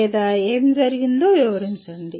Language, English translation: Telugu, Or describe what happened at …